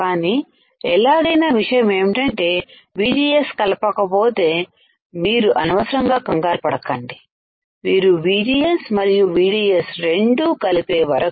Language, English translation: Telugu, , But anyway the point is until unless you apply VGS do not get confused with this, the until you apply VGS and VDS both